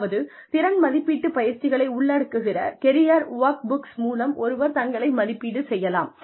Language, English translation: Tamil, Some ways in which, one can assess, one's own self, is through career workbooks, which includes, skill assessment exercises